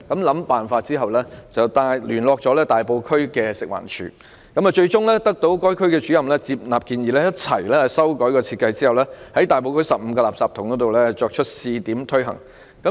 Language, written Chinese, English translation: Cantonese, 經一輪思考後，他聯絡食物環境衞生署大埔區的辦事處，而分區主任最終接納他的建議，共同修改設計，並在大埔區15個垃圾桶試行。, After some thoughts he approached the district office of the Food and Environmental Hygiene Department in Tai Po and the district officer finally accepted his proposal . They joined hands with each other to change the design of ashtrays and tried out the new design on 15 rubbish bins in Tai Po